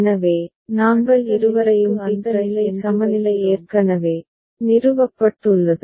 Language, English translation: Tamil, So, we put both of them as tick right, that condition for next state the equivalence is already established